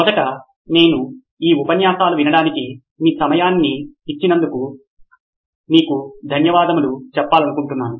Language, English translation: Telugu, First of all I would like to thank you for spending your time on listening to these lectures